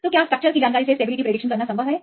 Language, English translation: Hindi, So is it possible to predict the stability from structure information